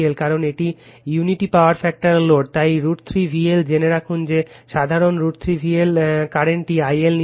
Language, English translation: Bengali, Because, your it is unity power factor load, so root 3 V L, we know that general root 3 V L, the current we have taken I L dash